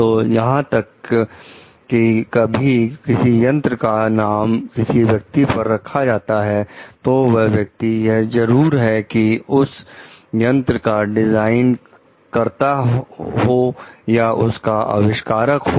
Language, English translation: Hindi, So, even when like some device is named for a person; the particular individual need not be the designer or the inventor